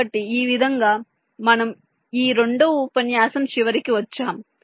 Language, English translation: Telugu, ok, so i think with this way we come to the end of this second lecture